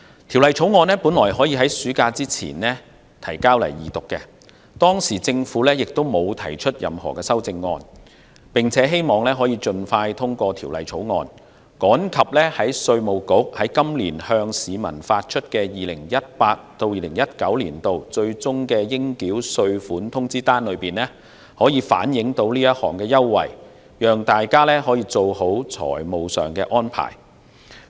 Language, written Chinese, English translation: Cantonese, 《條例草案》原本可以在暑假前提交本會二讀，而當時政府亦沒有提出任何修正案，希望可以盡快通過審議，趕及讓稅務局在今年向市民發出的 2018-2019 年度最終應繳稅款通知單中反映出這項優惠，讓大家做好財務上的安排。, Initially the Bill could have been presented to this Council for Second Reading before the summer recess . The Government did not propose any amendment at the time as it hoped that the Bill could pass scrutiny as soon as possible so that the Inland Revenue Department could reflect in time the concession amount in the notice on final tax payment for 2018 - 2019 issued to people this year and people could make the necessary financial arrangements